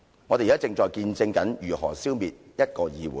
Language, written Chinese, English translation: Cantonese, 我們現在正見證如何消滅一個議會。, We are now witnessing how our legislature is being ruined